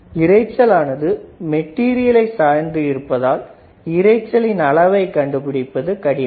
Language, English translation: Tamil, The magnitude of the noise is difficult to predict due to its dependence on the material